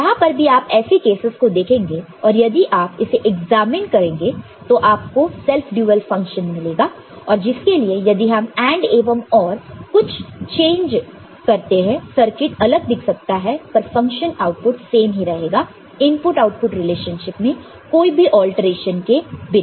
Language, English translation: Hindi, So, anywhere it will be wherever you see some such cases if you examine if you can find self dual function and for which if you just change the AND and OR the circuit will I mean look different, but the function output will remain the same, but without any alteration in the input output relationship, ok